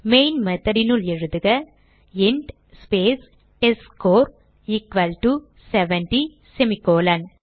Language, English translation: Tamil, So inside the Main method, type int space testScore equal to 70 semicolon